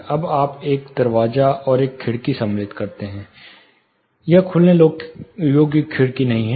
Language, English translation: Hindi, Now, you insert a door and a window, this is not openable just a see through window